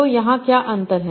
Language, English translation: Hindi, So what is the difference here